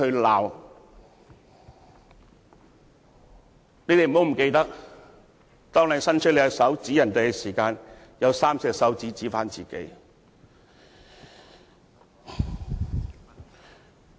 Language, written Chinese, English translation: Cantonese, 你們不要忘記，當你伸出你的手指指向別人的同時，也有3隻手指指向自己。, Do not forget that when you point your finger at someone else you have three fingers pointing to yourself